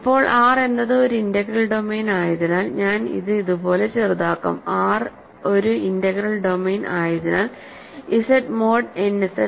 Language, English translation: Malayalam, Now, we are given that since R is an integral domain; so, I will shorten it like this since R is an integral domain so, is Z mod n Z right